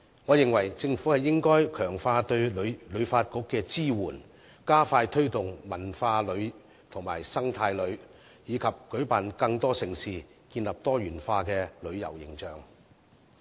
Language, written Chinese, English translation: Cantonese, 我認為政府應該強化對旅發局的支援，加快推動文化旅遊和生態旅遊，以及舉辦更多盛事，建立多元化的旅遊形象。, In my opinion the Government should strengthen the support for HKTB speed up the promotion of cultural tourism and eco - tourism as well as host more events to build up Hong Kongs diversified tourism image